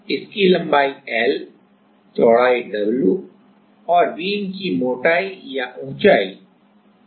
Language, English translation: Hindi, So, its length is L, width W and the thickness or the height of the beam is H